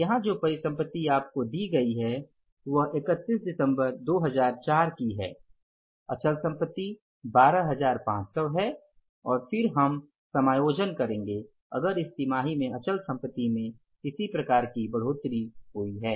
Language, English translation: Hindi, So these assets given to us are fixed assets are 12,500s and then we have to go for the adjustments if there is any addition in the fixed assets in the current quarter